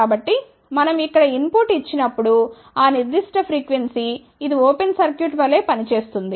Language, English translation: Telugu, So, that particular frequency when we give input here, this will act as a open circuit